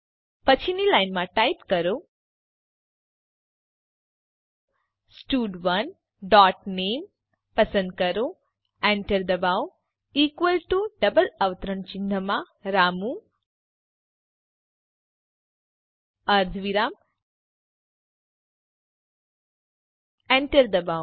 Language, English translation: Gujarati, Next line type stud1 dot select name press enter equal to within double quotes Ramu semicolon press enter